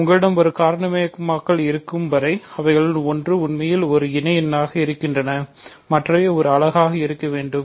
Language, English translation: Tamil, So, as long as you have a factorisation where one of them is actually an associate then the other must be a unit